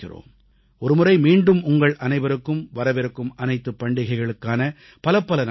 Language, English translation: Tamil, Once again, my best wishes to you all on the occasion of the festivals coming our way